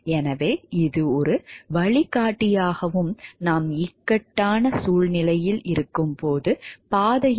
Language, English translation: Tamil, So, that it acts as a guideline and to show us the track, when we are in situations of dilemma